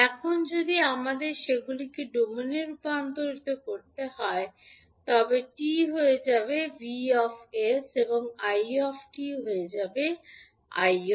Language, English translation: Bengali, Now, if we have to convert them into s domain vt will become vs, it will become i s